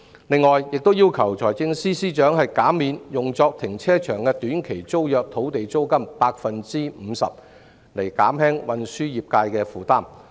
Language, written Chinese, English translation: Cantonese, 此外，我亦要求財政司司長減免用作停車場的短期租約土地租金 50%， 以減輕運輸業界的負擔。, Moreover I also requested the Financial Secretary to reduce the rental for short - term tenancies of land for car parks by 50 % to alleviate the burden on the transport sector